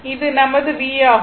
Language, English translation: Tamil, So, it will be my v, right